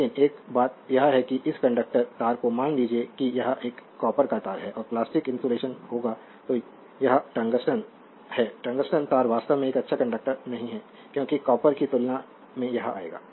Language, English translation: Hindi, But one thing is that that suppose this conductor wire suppose it is a your it is a your what you call that, copper wires and the plastic insulation will be there right and this is the tungsten, tungsten wire actually is not a good your what you call a conductor as compared to the copper will come to that right